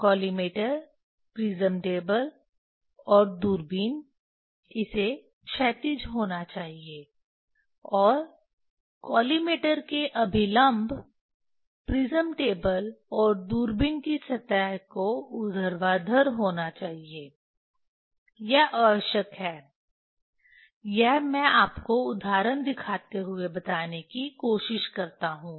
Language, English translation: Hindi, collimator prism table and telescope, it has to be horizontal, and normal to the collimator prism table and telescope surface has to be vertical, that is that is a necessary that is I try to tell you showing this example that